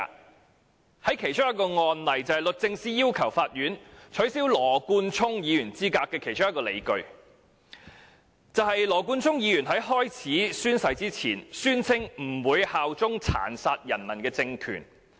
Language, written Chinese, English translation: Cantonese, 讓我舉其中一個例子，律政司要求法院取消羅冠聰議員資格所持的其中一項理據，就是羅議員在宣誓前，宣稱不會效忠殘殺人民的政權。, Let me cite one such example . One of the justifications held by the Department of Justice DoJ for requesting the Court to disqualify Mr Nathan LAW was that before taking his oath he claimed he would not swear allegiance to a regime that brutally killed its people